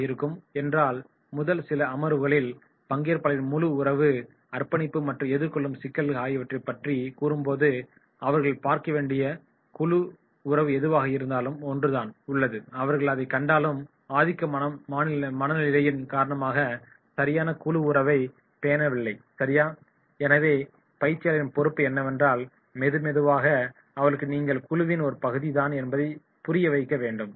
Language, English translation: Tamil, During the first few sessions when the trainer raises the issue of participation, group relationship and the commitment of the participants, whatever is there is the group relationship that they have to see, and then if they find that is the they are not having the proper group relationship because of the dominance right, so slowly and slowly the trainer’s responsibility is to let them understand they are the part of the group right